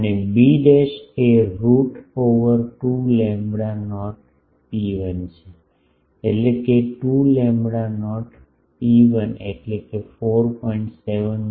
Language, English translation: Gujarati, And b dashed is root over 2 lambda not rho 1, that is 2 lambda not rho e that is 4